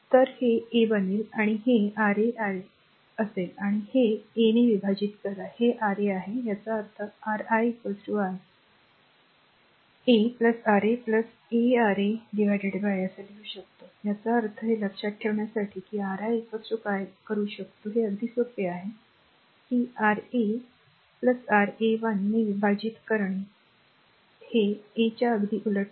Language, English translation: Marathi, So, it will become R 2 right and plus this is your R 2 R 3 by R 1 and divide this by R 1 this is R 3; that means, Ri is equal to I can write like this R 2 plus R 3 plus R 2 R 3 by R 1 right; that means, for remembering this that Ri is equal to what you can do is, one is that very simple is that your R 1 R 2 R 2 R 3 plus R 3 1 divided by the opposite is R 1 just opposite to this R 1 right